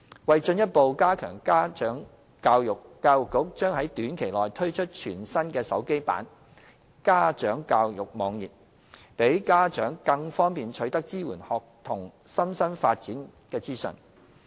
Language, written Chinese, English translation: Cantonese, 為進一步加強家長教育，教育局將於短期內推出全新的手機版家長教育網頁，讓家長更方便取得支援學童身心發展等資訊。, To further enhance parent education the Education Bureau will launch a new parent education mobile website shortly . The website enables parents to access information on supporting the physical and mental development of students